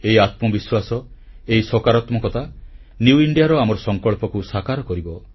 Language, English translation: Odia, This self confidence, this very positivity will by a catalyst in realising our resolve of New India, of making our dream come true